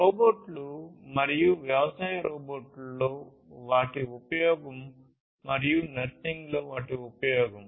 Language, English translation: Telugu, Robots and their use in agriculture robots and their use in nursing